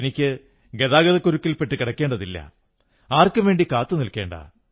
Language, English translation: Malayalam, I don't have to be caught in a traffic jam and I don't have to stop for anyone as well